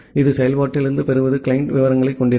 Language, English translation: Tamil, And this receive from function will contain the client details